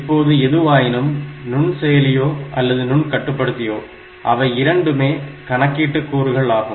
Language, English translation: Tamil, Now, whatever it is or both microprocessor and microcontroller they are some computing element